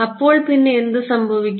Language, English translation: Malayalam, So, then what happens